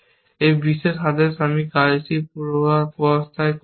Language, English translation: Bengali, This particular order, I am undoing the work